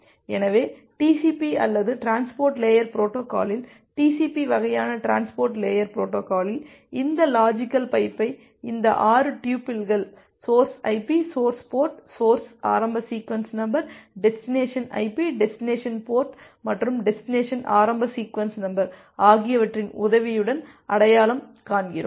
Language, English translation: Tamil, So, in TCP or in transport layer protocol, TCP kind of transport layer protocol we identify this logical pipe with the help of this 6 tuples, the source IP, the source port, the source initial sequence number, the destination IP, the destination port and a destination initial sequence number